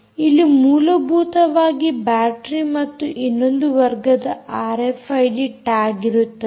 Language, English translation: Kannada, these essentially have batteries and, ah, they are another class of r f id tags